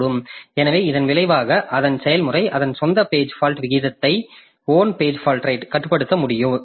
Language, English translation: Tamil, So, as a result, the process cannot control its own page fault rate